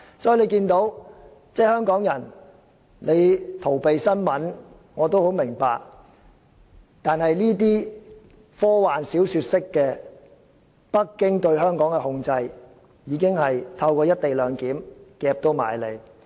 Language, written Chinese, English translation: Cantonese, 所以，大家看到香港人逃避新聞，我也很明白，但北京對香港科幻小說式的控制已經透過"一地兩檢"安排迫在眉睫。, Therefore we have seen that Hongkongers are evading news and this I do understand . But Beijings science fiction - like control over Hong Kong is looming near through the co - location arrangement